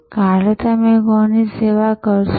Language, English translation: Gujarati, Whom will you serve tomorrow